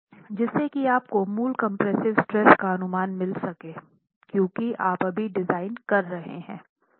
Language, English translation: Hindi, So, that you get an estimate of the basic compressive stress because you are designing now